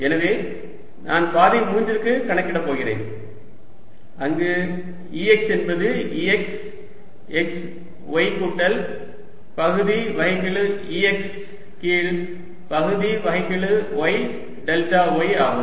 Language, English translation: Tamil, so i am going to calculate for path three where e x is going to be e x, x, y plus partial e x over partial y delta y